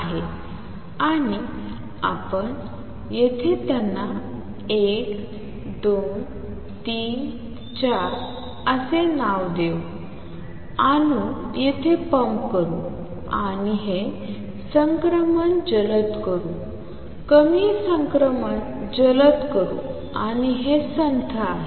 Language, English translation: Marathi, And what you do here is label them 1 2, 3, 4 pump atoms here and make this fast transition make lower transition fast and this is slow